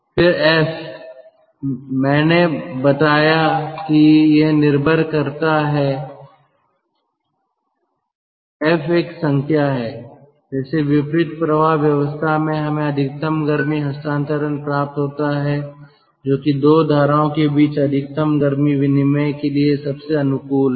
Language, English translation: Hindi, f is a number and ah it is of course like this: in counter flow arrangement we get maximum amount of heat transfer that is most conducive for maximum heat exchange between two streams